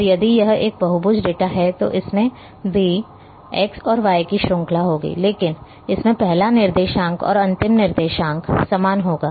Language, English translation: Hindi, And if it is a polygon data then it will have a series of x and y, but the first coordinate and the last coordinate is going to be the same